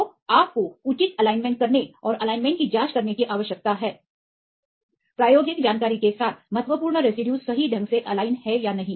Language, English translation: Hindi, So, you need to do the proper alignment and check the alignment whether the important residues right with the experimental information are properly aligned or not